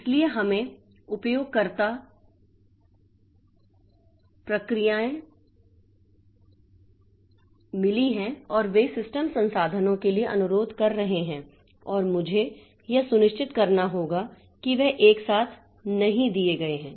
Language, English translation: Hindi, So, we have got multiple user processes and they are requesting for system resources and I have to make sure that they are not given simultaneously